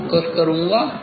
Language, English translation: Hindi, I will focused